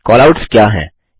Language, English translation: Hindi, What are Callouts